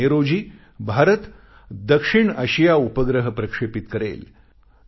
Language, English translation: Marathi, On the 5th of May, India will launch the South Asia Satellite